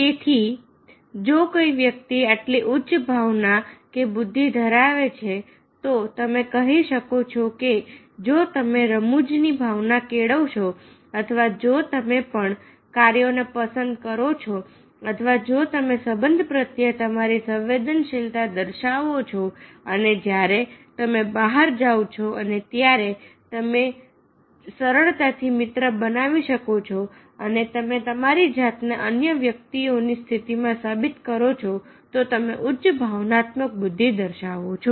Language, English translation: Gujarati, so if the person such high emotional intelligence, then you can say that if you cultivate the sense of humour, if you prefer the challenging tasks, if you show understand your sensitive to relationships and you are outgoing and you can easily make friends and you proved yourself in other persons positions to understand them, then you poses the high emotional intelligence